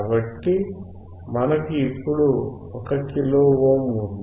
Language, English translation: Telugu, So, we have now 1 kilo ohm